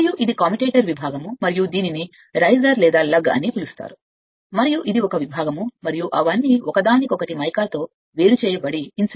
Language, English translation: Telugu, And this is that commutator segment right and this is called riser or lug and this is a segment and they are all insulated separated from each other by mica say